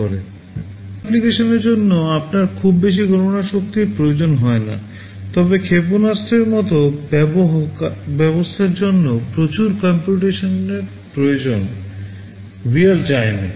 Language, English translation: Bengali, For some applications you do not need too much computation power, but for a system like missile lot of computations need to take place in real time